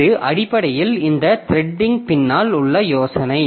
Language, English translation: Tamil, So, this is essentially the idea behind this threading